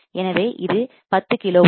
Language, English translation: Tamil, So, this is 10 kilo ohms